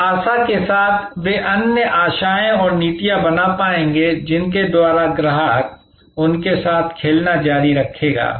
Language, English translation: Hindi, With the hope that they will be able to create other hopes and policies by which the customer will continue to play with them